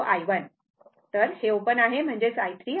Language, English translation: Marathi, Because, this is open right; that means, i 3 and i 1